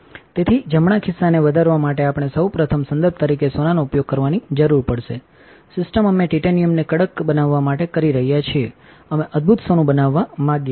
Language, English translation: Gujarati, So, to fill the right pocket, we will need to first use gold as a reference, system we are doing to tighten titanium we want to be wonderful gold